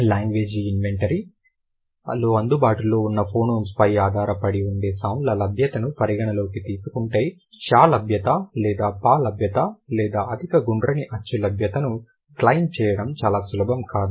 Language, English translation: Telugu, Considering the availability and non availability of sounds that depends on the available phonemes in the language inventory, it is not very easy to claim that availability of share or availability of per or the availability of high round vowel